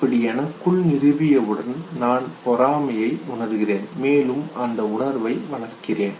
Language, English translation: Tamil, And once I establish this within me then only I can have the sense of envy, I can develop jealousy